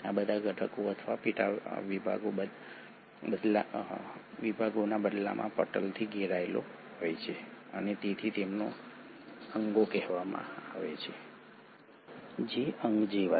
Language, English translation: Gujarati, All these components or subdivisions in turn themselves are surrounded by membranes and hence they are called as organelles, which is organ like